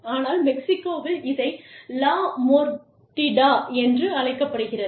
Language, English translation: Tamil, But, here again, Mexico, it is called La Mordida